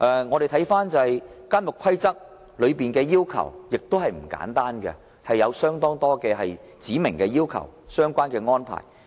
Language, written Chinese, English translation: Cantonese, 我們看到《監獄規則》的要求也不簡單，有很多指明的要求和相關的安排。, The requirements laid down in the Prison Rules are not simple either as many demands and relevant arrangements are expressly stated